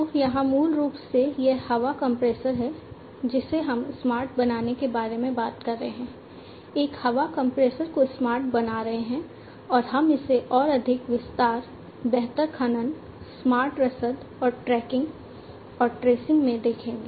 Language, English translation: Hindi, So, here basically it is a air compressor that we are talking about making it smart, making a air compressor smart and so on so, we will look at it in further more detail, improved mining, smart logistics, and tracking and tracing